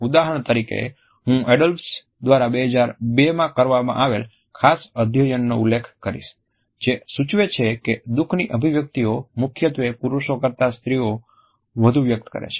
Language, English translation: Gujarati, For example, I would refer to a particular study by Adolphs, which was conducted in 2002 and which suggest that the expressions of sadness are mainly expressed more in women than men